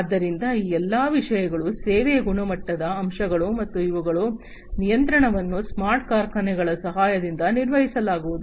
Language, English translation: Kannada, So, all of these things, the service quality aspects, and the control of them are all going to be performed with the help of smart factories in the smart factory environment